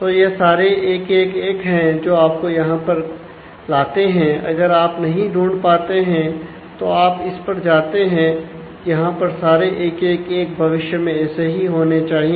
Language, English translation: Hindi, So, all of them are 1 1 1 here which brings you to this you cannot find it you go to this and all 1 1 ones in future will have to be